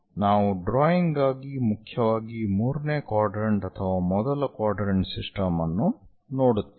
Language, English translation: Kannada, For drawing, we mainly look at either third quadrant or first quadrant systems